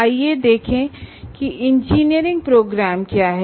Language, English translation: Hindi, Let's see what engineering programs are